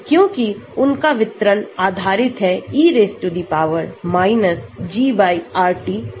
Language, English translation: Hindi, Because, their distribution will be based on e G/RT